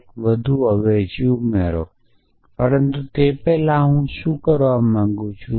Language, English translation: Gujarati, Add one more substitution, but before doing that I want to do